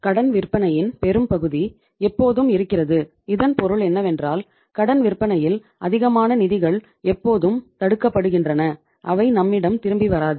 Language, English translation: Tamil, It means when this much of the credit sales are always there it means this much of the funds are always blocked in the credit sales they will not come back to us